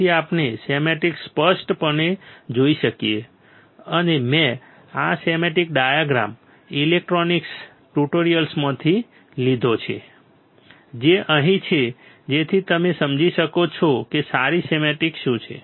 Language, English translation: Gujarati, So, that we can see the schematic clearly and I have taken this schematic diagram from electronics tutorials which is right over here so that you can understand what is a good schematic